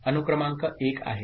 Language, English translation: Marathi, Serial in is 1